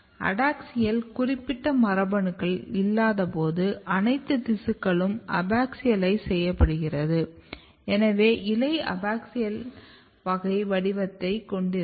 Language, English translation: Tamil, This suggest that when you do not have adaxial specific genes the all tissues are getting abaxialized, so you have abaxial type of pattern in the leaf